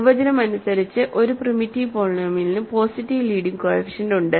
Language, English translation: Malayalam, By definition a primitive polynomial has leading coefficient positive